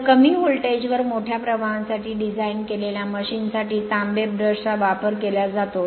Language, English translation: Marathi, So, the use of copper brush is made up for machines designed for large currents at low voltages right